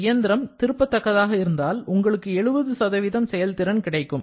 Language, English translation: Tamil, If the engine is a reversible one, you are going to get the 70% efficiency